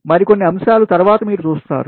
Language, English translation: Telugu, there are some more factors later you will see